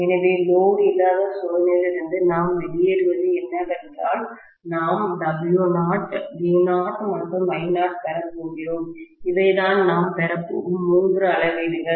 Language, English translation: Tamil, So, what we get out of the no load test is we are going to get W naught, V naught and I anught, these are the three readings that we are going to get